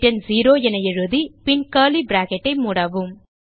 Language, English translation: Tamil, Type return 0 and close the ending curly bracket